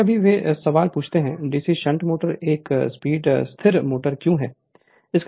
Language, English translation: Hindi, Sometimes they ask these questions that why DC shunt motor is a constant speed motor